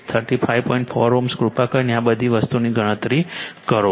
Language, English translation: Gujarati, 4 ohm please calculate all these things